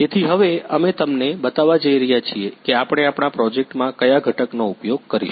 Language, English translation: Gujarati, So, now we are going to show you what component we are going to use in our project